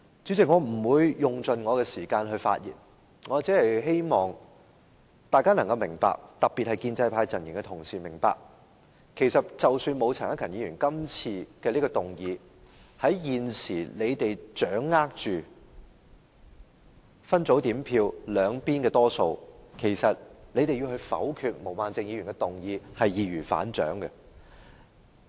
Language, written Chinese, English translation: Cantonese, 主席，我不會用盡我的發言時間，只希望大家特別是建制派陣營的同事能夠明白，即使沒有陳克勤議員今次提出的議案，在現時他們掌握分組點票絕對優勢的情況下，要否決毛孟靜議員的議案其實是易如反掌。, President I am not going to use up all of my speaking time but I hope fellow Members especially colleagues from the pro - establishment camp would understand that even without the motion moved by Mr CHAN Hak - kan today it is just a piece of cake for them to have Ms Claudia MOs motion negatived since they are now enjoying a definite advantage under the split voting system